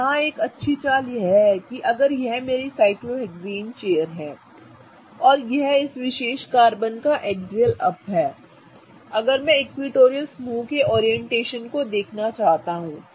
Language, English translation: Hindi, So, here is a good trick is that if this is my cyclohexane chair, right, and this is the axial up of this particular carbon